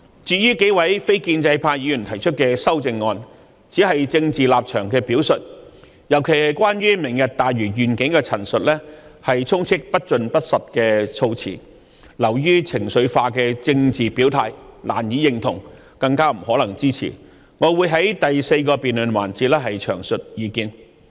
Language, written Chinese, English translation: Cantonese, 至於幾位非建制派議員提出的修正案，只是政治立場的表述，特別是有關"明日大嶼願景"的陳述，充斥着不盡不實的措辭，流於情緒化的政治表態，令人難以認同，更加不可能支持，我會在第四個辯論環節詳述意見。, As for the amendments proposed by the several non - establishment Members they are no more than presentations of political positions and in particular what they said about the Lantau Tomorrow Vision are all inconclusive untrue statements that are no more than an emotional show of political stance . It is difficult for us to agree with them still less rendering them our support . I will express my views in detail in the fourth debate session